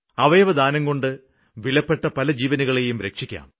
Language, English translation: Malayalam, 'Organ Donation' can save many valuable lives